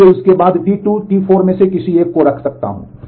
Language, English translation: Hindi, So, I can put any one of T 2 or T 4 after that